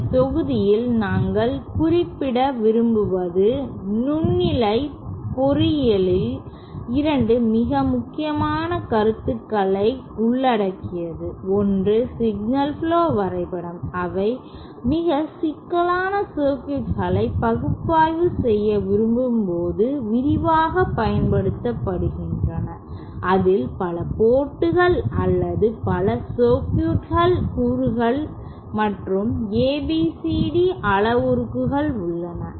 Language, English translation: Tamil, So, in summary, I would like to mention that in this module, we covered 2 very important concepts in microwave engineering, one was the signal flow graph diagram, which is extensively used when they want to analyse very complicated circuits with many ports or many circuit elements and also the ABCD parameters